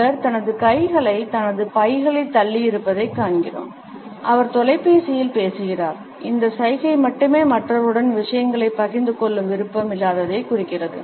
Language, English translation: Tamil, We find that he has thrust his hands into his pockets and he is talking into microphones and this gesture alone indicates the absence of the desire to share things with other people